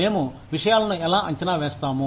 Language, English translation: Telugu, How do we assess things